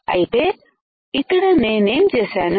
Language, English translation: Telugu, So, here what I have done